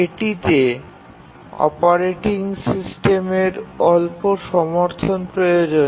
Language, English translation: Bengali, It requires very little support from the operating system